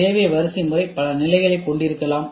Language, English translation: Tamil, The need hierarchy may consists of several levels